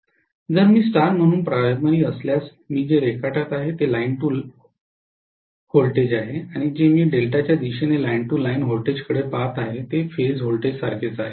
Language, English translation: Marathi, If I am having primary as star what I am applying is line to line voltage and what I look at the as line to line voltage finally in the delta side will be similar to the phase voltage